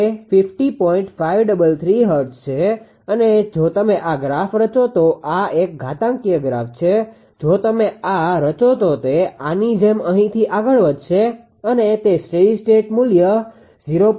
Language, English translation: Gujarati, 533 hertz right this is and if you plot this graph this is an exponential exponential graph; if you plot this it will move like this from this one it will go to your what you call to a steady state values at 0